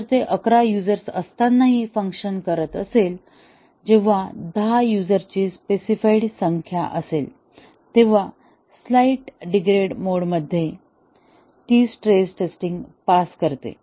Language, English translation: Marathi, If it is performing with eleven users, when ten is the specified number of users, in a slightly degraded mode it passes its stress testing